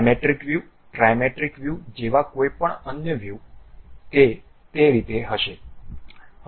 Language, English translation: Gujarati, Any other view like diametric view, trimetric view, it will be in that way